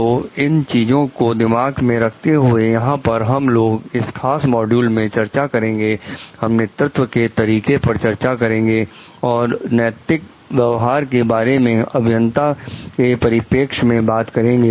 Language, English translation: Hindi, So, keeping those things in mind, here we will discuss about in this particular modules, we are going to discuss about the leadership styles and ethical conduct with respect to engineers